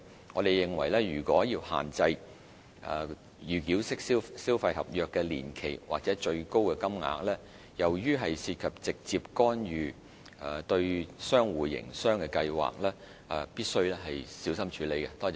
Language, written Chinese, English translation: Cantonese, 我們認為如要限制預繳式消費合約的年期或最高金額，由於涉及直接干預對商戶營運計劃，必須小心處理。, In our view the suggestion of imposing ceilings on contract length or value of pre - payment in consumer contracts amounts to a direct intervention into the business plans of traders and must be considered carefully